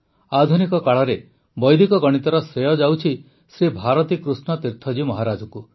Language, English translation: Odia, The credit of Vedic mathematics in modern times goes to Shri Bharati Krishna Tirtha Ji Maharaj